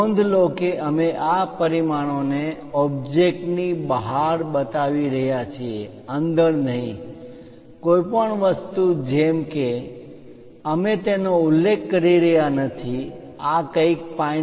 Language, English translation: Gujarati, Note that, we are showing these dimensions outside of the object outside not inside something like we are not mentioning it something like this is 5